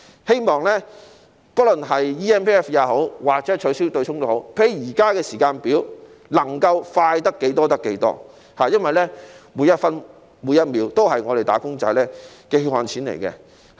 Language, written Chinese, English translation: Cantonese, 希望不論 eMPF 也好，或取消對沖機制也好，均能較現時的時間表提早完成，能夠快得多少，便快多少，因為每分每秒影響的都是"打工仔"的血汗錢。, We hope that both the establishment of the eMPF Platform and the abolition of the offsetting mechanism can be completed ahead of the present timetable―if it could be done faster it should be done faster―because what is at stake with the passing of every second and minute is wage earners hard - earned money